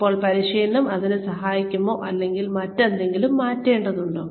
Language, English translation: Malayalam, Now, is training, going to help, or does something else, need to be changed